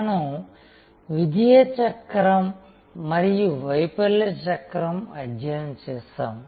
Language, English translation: Telugu, We studied the cycle of success and the cycle of failure